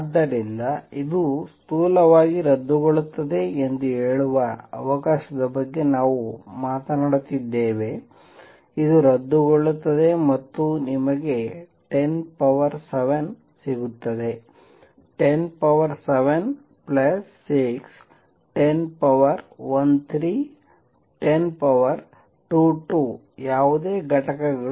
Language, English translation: Kannada, So, we are talking about of the order of let say this cancels roughly; this cancels and you get 10 raise to 7; 10 raise to 7 plus 6 10 raise to 13 10 raise to 22 whatever units